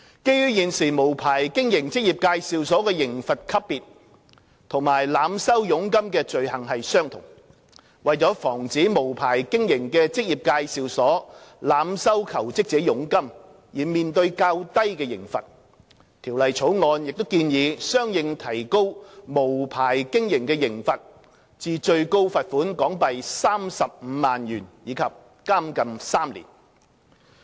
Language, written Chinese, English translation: Cantonese, 基於現時無牌經營職業介紹所的刑罰級別與濫收佣金的罪行相同，為防止無牌經營的職業介紹所濫收求職者佣金而面對較低的刑罰，《條例草案》亦建議相應提高無牌經營的刑罰至最高罰款港幣35萬元及監禁3年。, Given that the level of penalty for the offence of unlicensed operation of an EA is the same as that for the overcharging offence at present in order to prevent an unlicenced EA from facing a lesser penalty for overcharging job - seekers the Bill also proposes to correspondingly raise the maximum penalty for the offence of unlicensed operation of an EA to a maximum fine of HK350,000 and imprisonment of three years